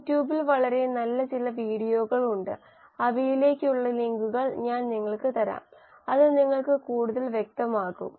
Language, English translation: Malayalam, There are some very nice videos on you tube, I will give you links to those, it will make it even clearer to you